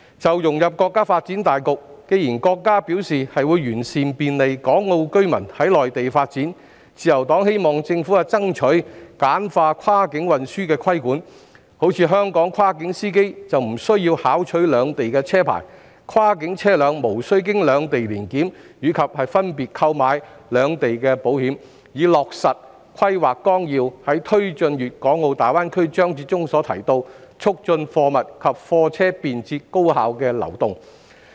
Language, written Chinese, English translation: Cantonese, 就融入國家發展大局，既然國家表示會完善便利港澳居民在內地發展的政策措施，自由黨希望政府爭取簡化跨境運輸的規管，例如香港跨境司機無須考取兩地車牌，以及跨境車輛無須經兩地年檢及分別購買兩地的保險，以落實規劃綱要在"推進粵港澳大灣區"章節中所提及的"促進貨物及車輛便捷高效的流動"。, Regarding the integration into the overall development of the country since the country has indicated that it will improve the policy measures to facilitate the people of Hong Kong and Macao to pursue development opportunities in the Mainland the Liberal Party hopes that the Government will strive to streamline the regulation of cross - border transportation . For example the Government could consider exempting Hong Kong cross - boundary drivers from obtaining licences of the two places and cross - boundary vehicles from undergoing two annual inspections and taking out two insurances thereby facilitating the efficient flow of goods and vehicles as mentioned in the section about taking forward the GBA development in the National 14th Five - Year Plan